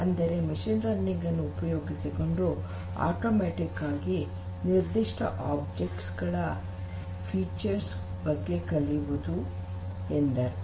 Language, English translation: Kannada, On the other hand, machine learning focuses on learning automatically from certain object features